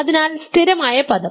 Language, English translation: Malayalam, So, the constant term